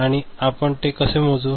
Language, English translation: Marathi, And how we measure it